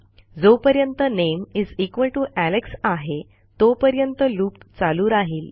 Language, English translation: Marathi, As long as the name=Alex this will loop